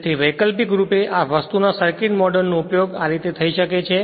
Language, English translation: Gujarati, So, actu[ally] so alternatively the circuit model of this thing could be used like this